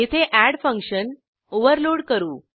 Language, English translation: Marathi, Here we overload the function add